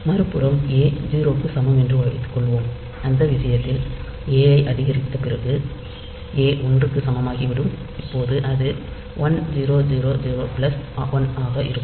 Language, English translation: Tamil, On the other hand, if the value suppose a is equal to 0, in that case after increment a, a will become equal to 1, now it will be 1000 plus 1